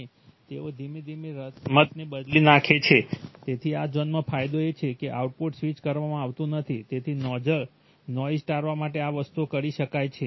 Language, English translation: Gujarati, And they slowly change the game, so in this zone the gain is, the output is not switched, so this things can be done to avoid noise